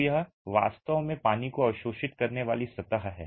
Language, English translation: Hindi, So, it's really the surface absorbing water